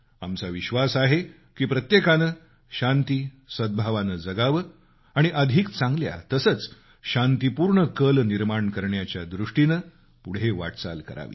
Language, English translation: Marathi, We believe that everyone must live in peace and harmony and move ahead to carve a better and peaceful tomorrow